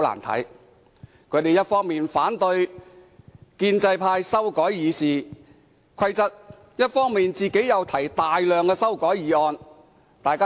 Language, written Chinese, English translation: Cantonese, 他們一方面反對建制派修改《議事規則》，一方面卻又提出大量擬議決議案。, On the one hand they opposed the pro - establishment camps amendment of RoP yet on the other hand they put forward a number of proposed resolutions